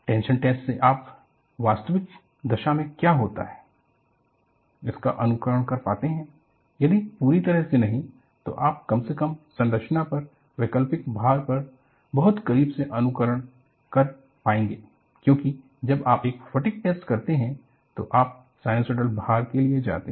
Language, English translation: Hindi, From tension test, you have graduated to simulate what happens in actual service condition, if not completely, at least very close to simulating alternating loads on the structure, because when you do a fatigue test, you go for a sinusoidal loading